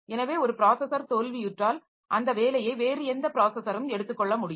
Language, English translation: Tamil, So, you can if one processor has failed, so the job can be taken up by any other processor